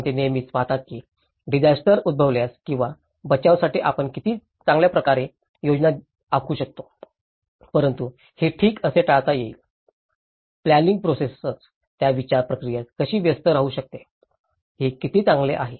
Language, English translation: Marathi, Because they always see that how well at the event of a disaster or risk how well we can plan for rescue but how to avoid this okay, how a planning process itself can engage that thought process in it